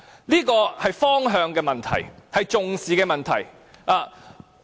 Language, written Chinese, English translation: Cantonese, "這是方向的問題，是重視的問題。, This is a matter of direction and importance